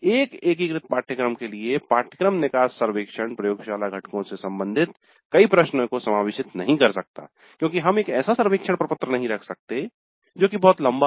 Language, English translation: Hindi, So because of that the course exit survey for an integrated course may not allow many questions regarding the laboratory components as we cannot have a survey form that is too long